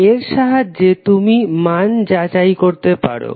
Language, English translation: Bengali, So this you can verify the values